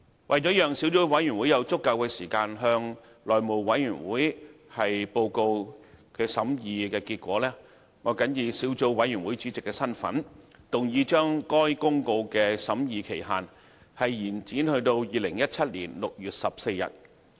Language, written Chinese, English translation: Cantonese, 為了讓小組委員會有足夠時間向內務委員會報告其審議結果，我謹以小組委員會主席的身份，動議將該《生效日期公告》的審議期限，延展至2017年6月14日。, To allow sufficient time for the Subcommittee to report its deliberations to the House Committee in my capacity as Chairman of the Subcommittee I move that the period for scrutinizing the Commencement Notice be extended to 14 June 2017